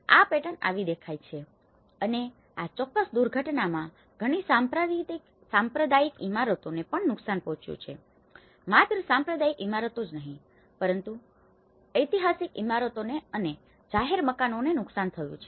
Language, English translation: Gujarati, That is how the pattern looks like and in this particular disaster many of the communal buildings also have been damaged, not only the communal buildings, the historic buildings have been damaged, public buildings have been damaged